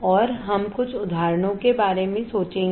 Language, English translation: Hindi, And we will think some examples